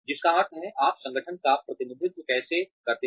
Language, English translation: Hindi, Which means, how do you represent the organization